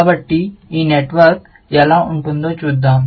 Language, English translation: Telugu, So, let us see what this network looks like